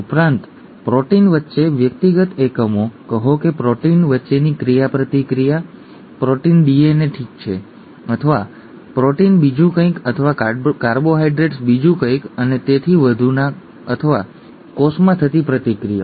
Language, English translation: Gujarati, Also, interactions between individual units, say proteins, amongst proteins itself is 1; protein DNA, okay, or protein something else or maybe carbohydrate something else and so on or reactions that that occur in the cell